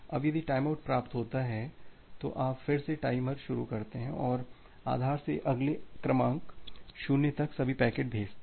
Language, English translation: Hindi, Now, if a time out occurs you again start the timer and sent all the packets from base to next sequence number minus 1